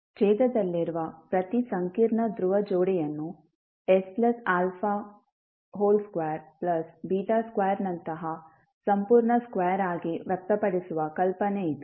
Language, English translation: Kannada, This is the idea to express the each complex pole pair in the denominator as a complete square such as s plus alpha squared plus beta square